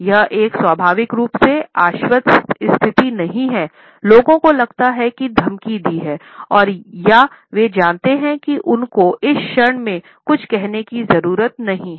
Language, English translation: Hindi, It is not a naturally confident position people may feel subconsciously threatened or they might be aware that they do not have any say in a given moment